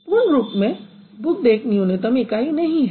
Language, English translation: Hindi, So, booked as a whole is not the minimal unit